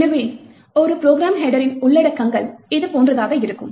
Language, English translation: Tamil, So, the contents of a program header would look something like this